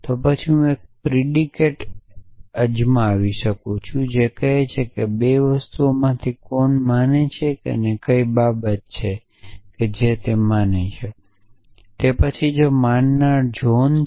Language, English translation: Gujarati, Then I can try and define a predicate which says 2 agreements as to who is believer and what is the thing that is believed, in then the believer is john